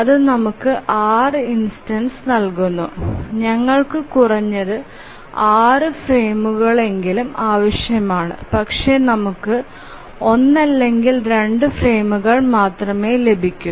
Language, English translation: Malayalam, So that gives us six instances and we need at least six frames but then we are getting only either one or two frames